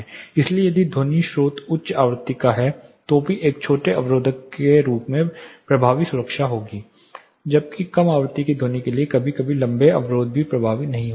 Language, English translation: Hindi, So, even a shorter barrier you will have much effective sound protection if the sound source is of higher frequency, whereas for low frequency sound sometimes taller barriers even may not be effective